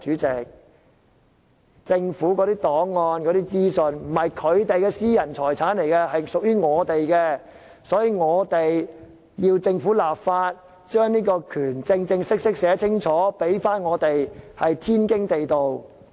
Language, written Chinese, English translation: Cantonese, 政府的檔案和資訊不是他們的私人財產，而是屬於市民大眾的，因此我們要求政府立法，正式在法例條文中訂明這項權利，這是天經地義的事。, The Government should not have treated its archives and information as its own private property since they belong to no one but the general public . It is for this reason that we demand legislation by the Government in this connection so that the right is stipulated clearly in the legal provisions